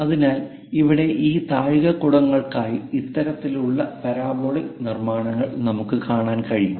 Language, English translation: Malayalam, So, here for these domes, we see that kind of parabolic constructions